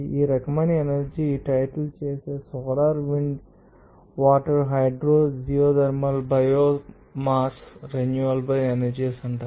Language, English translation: Telugu, The solar wind water hydro geothermal biomass who title this type of energy is called renewable energy